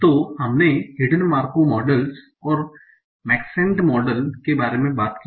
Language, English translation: Hindi, So we talked about hidden marker models and also Maxine model